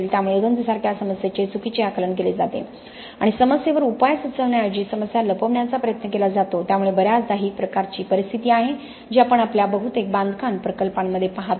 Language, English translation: Marathi, So there is an improper application here of an understanding of a problem like corrosion and trying to cover up the problem rather than propose a solution to the problem itself, so very often this is a kind of situation that we see in most of our construction projects